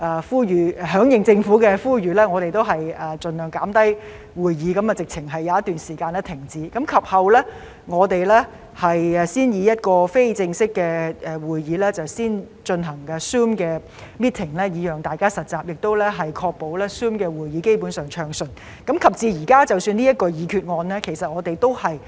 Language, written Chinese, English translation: Cantonese, 為響應政府的呼籲，我們盡量減少會議，有一段時間乾脆停止會議；及後，我們才讓非正式會議以 Zoom meeting 的形式進行，讓大家實習，並確保 Zoom 會議基本上運作暢順；及至現時，即使提出這項議案，我們也是逐步平衡和保持謹慎。, In response to the Governments call we reduced the number of meetings as far as practicable and for a period of time all meetings were simply suspended; later on informal meetings were allowed to be conducted in the form of Zoom meetings so that Members could practise using Zoom and ensure that Zoom meetings operate smoothly in general; and now in proposing this motion we still seek to strike a balance progressively and remain cautious